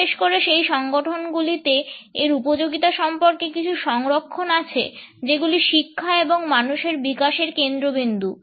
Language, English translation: Bengali, There are certain reservations about its applicability particularly in those organisations, which are focused on learning and related with development of human beings